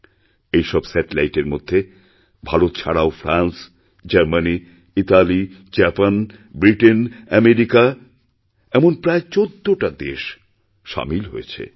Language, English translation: Bengali, ' And besides India, these satellites are of France, Germany, Italy, Japan, Britain and America, nearly 14 such countries